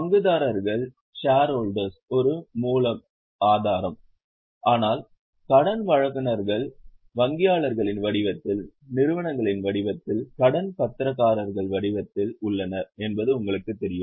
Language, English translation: Tamil, Shareholder is one source but you know there are lenders in the form of bankers, in the form of institutions, in the form of debentureholders, they are also stakeholders